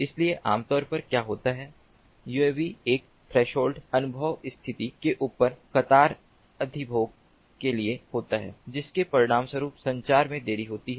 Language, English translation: Hindi, so typically what happens is uavs with queue occupancy above a threshold experience condition resulting in communication delay